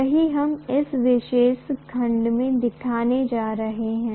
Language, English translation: Hindi, That’s what we are going to look at in this particular section